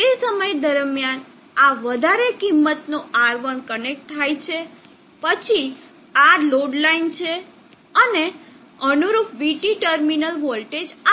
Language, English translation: Gujarati, So during the time this is high R1 gets connected, then this is load line and the corresponding VT terminal voltage is this